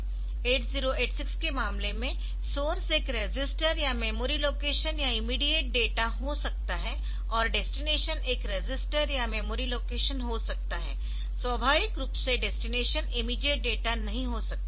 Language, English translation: Hindi, Now, in case of 8086, the source can be a register or a memory location or an immediate data; and the destination can be a register or a memory location; naturally destination cannot be immediate, it cannot be an immediate data